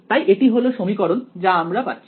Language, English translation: Bengali, So, this is our equation in the absence of object